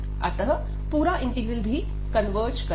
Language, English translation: Hindi, This integral converges